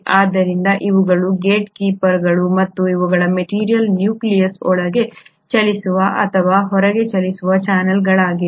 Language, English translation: Kannada, So these are the gatekeepers and these are the channels through which the material can move in or move out of the nucleus